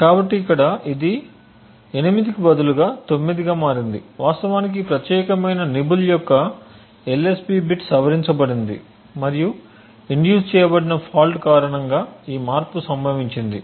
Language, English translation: Telugu, So instead of 8 over here it has become a 9 indicating that the LSB bit of this particular nibble has actually been modified and this modification has occurred due to the fault that has been induced